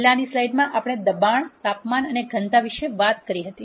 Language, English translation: Gujarati, In the previous slide, we talked about pressure, temperature and density